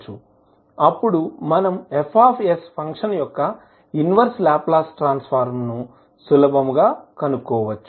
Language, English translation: Telugu, Then you can easily find out the inverse Laplace transform